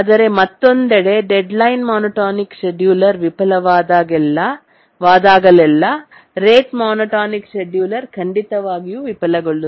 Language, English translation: Kannada, But on the other hand, whenever the deadline monotonic scheduler fails, the rate monotonic scheduler will definitely fail